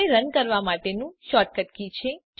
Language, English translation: Gujarati, is the shortcut for running the code